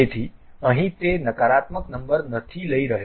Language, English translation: Gujarati, So, here it is not taking a negative number